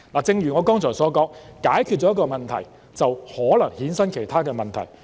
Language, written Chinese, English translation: Cantonese, 正如我剛才所說，解決了一個問題，就可能衍生其他問題。, As I said earlier after one problem is resolved other problems may arise